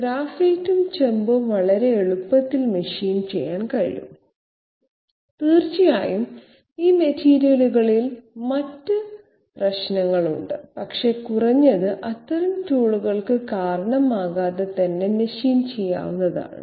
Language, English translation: Malayalam, Graphite and copper can be machined very easily, of course there are other issues with these materials, but at least they are machinable without causing that kind of tool wear